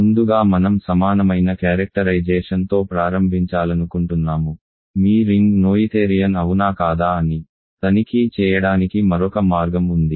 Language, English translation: Telugu, So, first of all I want to start with an equivalent characterization, so, another way to check if your ring is noetherian